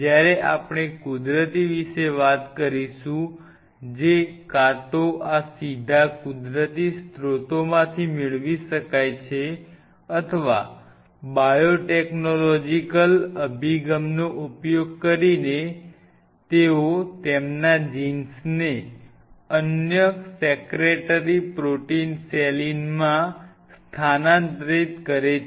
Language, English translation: Gujarati, When we talk about Natural we will talk about the one which are known to show this effect either this could be obtained from natural sources directly or using biotechnological approach they could be produced in mass by you know transferring their jeans into some other secretary proteins saline’s where you can produce them